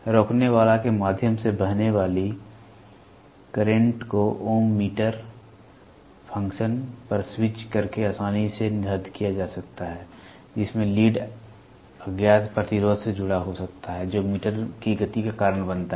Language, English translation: Hindi, The current flowing through the resistor can easily be determined by switching over to the ohm meter function, wherein, the leads can be connected to the unknown resistance that causes the meter movement